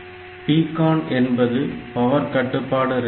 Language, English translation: Tamil, So, PCON is the power control register